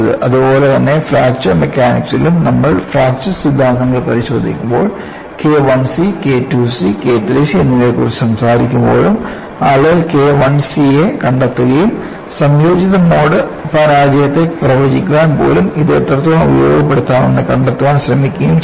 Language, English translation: Malayalam, So, similarly in Fracture Mechanics, when we go and look at fracture theories, even though we talk about K I c, K II c, K III c, people find out K I C and try to find out how well it can be utilized even to predict a combined mode failure